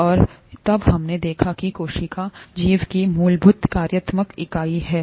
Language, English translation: Hindi, And, then we saw that the cell is the fundamental functional unit of life